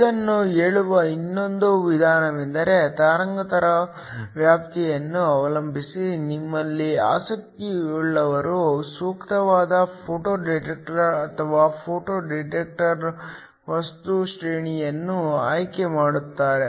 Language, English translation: Kannada, Another way of saying this is that depending upon the wavelength range your interested in you will choose the appropriate type of photo detector or the photo detector material range